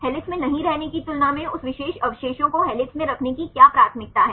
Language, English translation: Hindi, What is a preference of that particular residues to be in helix compared to be not in helix